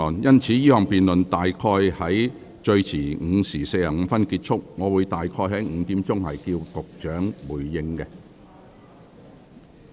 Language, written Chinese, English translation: Cantonese, 因此，這項辯論最遲會於約下午5時45分結束，我會於5時左右請局長回應。, Hence this debate will end around 5col45 pm at the latest and I will ask the Secretary to give his reply around 5col00 pm